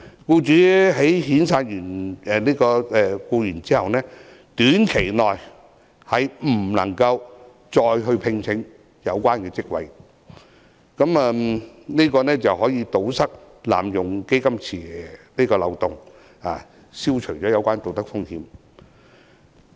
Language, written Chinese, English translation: Cantonese, 僱主在遣散有關員工後，短期內不可再次聘請有關職位，這樣可以堵塞濫用"大基金池"的漏洞，消除有關道德風險。, Besides after dismissing an employee the employer concerned will not be allowed to make recruitment for the same post within a short time to plug the loophole of abusing the cash pool and eliminate the potential moral hazard